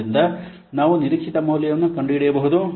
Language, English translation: Kannada, So you can find out the expected value